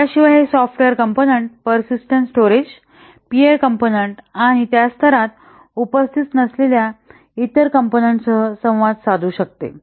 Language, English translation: Marathi, Besides that this software component may communicate with the persistent storage, pure component and other components present in the same layer